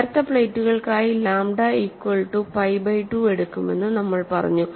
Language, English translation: Malayalam, We have said for thin plates take lambda equal to pi by 2